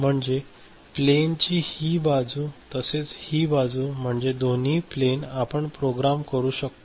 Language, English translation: Marathi, So, this side as well as this side this plane, both the plane we can program right